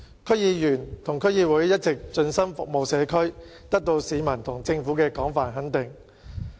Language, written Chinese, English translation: Cantonese, 區議員和區議會一直盡心服務社區，得到市民和政府的廣泛肯定。, DC Members and DCs have all along been devoted to serving the local communities so they have won widespread approval of the public and the Government